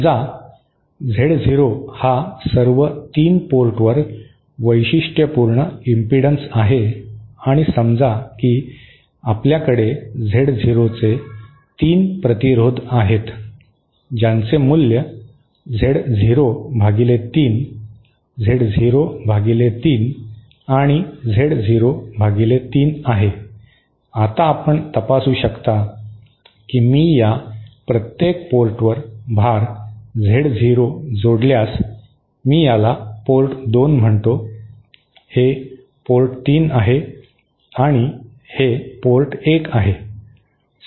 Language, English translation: Marathi, Say Z0 is the characteristic impedance at all 3 ports and say we have 3 resistances of value Z0 by 3, Z0 by 3 and Z0 by 3, now you can verify that if I connect a load Z0 to each of these ports, say I call this port 2, this as port 3 and this is port 1